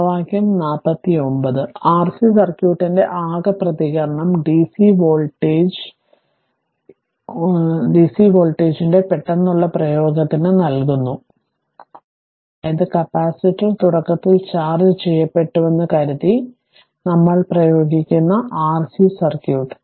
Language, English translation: Malayalam, So, 49 gives the total response of the R C circuit to a sudden application of dc voltage source, that is R C circuit we apply assuming the capacitor is initially charged right